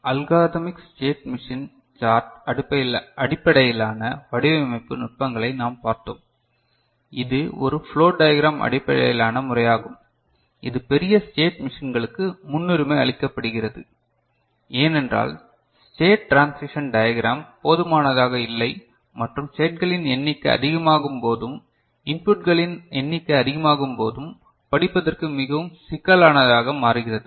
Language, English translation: Tamil, So, we also saw algorithmic state machine chart based design techniques, which is a flow diagram based method, it is preferred for larger state machines, because state transition diagram is found inadequate or very complex to read when the number of these variables, number of states, number of inputs increase ok